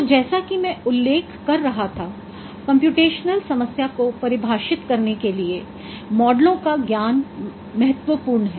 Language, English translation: Hindi, So, as I was referring at that knowledge of models is crucial for defining a computational problem